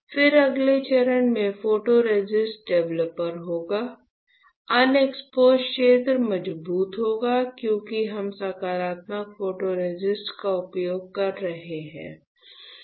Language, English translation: Hindi, Then in the next step would be photoresist developer; the unexposed region would be stronger because we are using positive photoresist